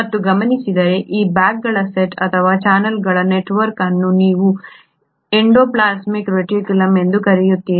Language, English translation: Kannada, And what is observed, this set of bags or this set of network of channels is what you call as the endoplasmic reticulum